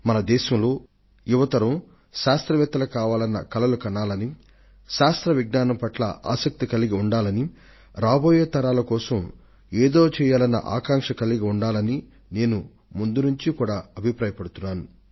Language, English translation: Telugu, I have believed it right from the beginning that the new generation should nurture the dream of becoming scientists, should have keen interest in Science, and our youngsters should step forward with the zeal to do something for the coming generations